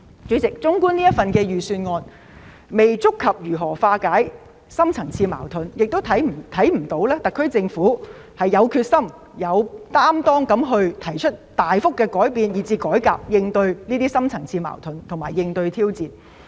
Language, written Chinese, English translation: Cantonese, 主席，預算案未能觸及如何化解深層次矛盾，特區政府亦沒有決心和擔當，提出大幅度的改變或改革來應對深層次矛盾和挑戰。, President the Budget has not touched upon how to resolve deep - seated conflicts and the SAR Government does not have the determination and commitment to propose substantial changes or reforms to deal with deep - seated conflicts and challenges